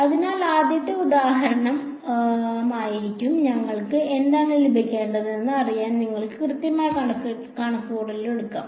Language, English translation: Malayalam, So, the first example would be for example, I mean you can take the exact calculation just to know what we are supposed to get